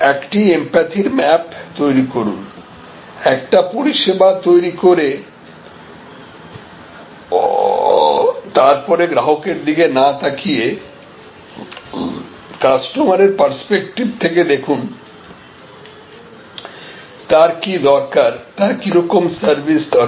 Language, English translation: Bengali, So, create an empathy map and so instead of creating a service and then, looking at the customer, look from customer perspective, so look from customers perspective, what is needed, what sort of service is needed